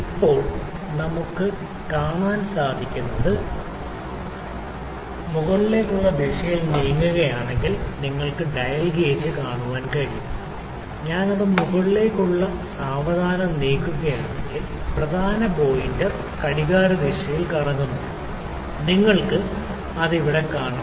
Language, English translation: Malayalam, Now, if you see if I move it in the upward direction you can see the dial gauge, if I move it in the upward directions slowly the pointer the main pointer is rotating in the clockwise direction, you can see it here